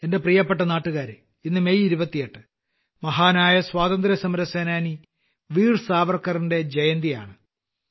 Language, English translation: Malayalam, My dear countrymen, today the 28th of May, is the birth anniversary of the great freedom fighter, Veer Savarkar